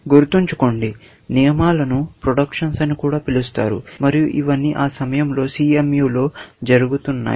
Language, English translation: Telugu, Remember that, we also called rules as productions, and all this was happening in CMU at that time